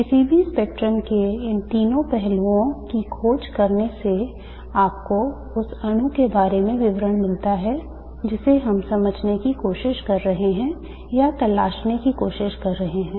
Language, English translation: Hindi, Exploring these three aspects of any spectrum gives you the details about the molecule that we are trying to understand or trying to explore